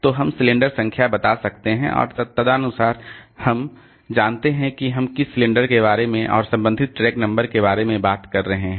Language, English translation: Hindi, So, we can tell the cylinder number and accordingly we know on which cylinder we are talking about and the corresponding track number